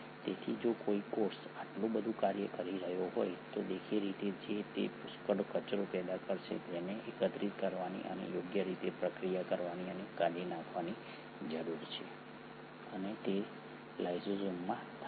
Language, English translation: Gujarati, So if a cell is doing so much of a function, obviously it is going to produce a lot of waste matter which needs to be collected and appropriately processed and discarded and that happens in lysosomes